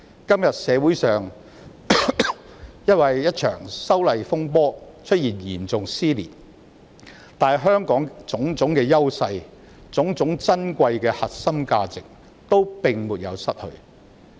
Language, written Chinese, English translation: Cantonese, 今天，社會上因為一場修例風波而出現嚴重撕裂，但香港的種種優勢和珍貴核心價值均沒有失去。, The community is now seriously torn apart because of a dispute over the legislative amendment exercise but we still have not lost our various edges and precious core values